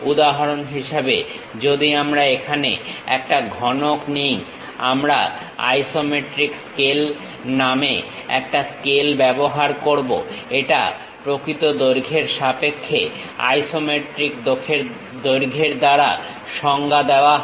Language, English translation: Bengali, For example, if we are taking a cube here; we use a scale named isometric scale, this is defined as isometric length to true length